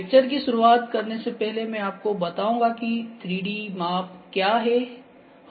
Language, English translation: Hindi, Before the start of the lecture I will just tell you what is 3D measurements